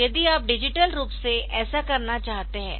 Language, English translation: Hindi, So, digitally if you want to do this